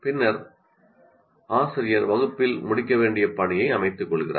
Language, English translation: Tamil, Then the teacher sets a task to be completed in the class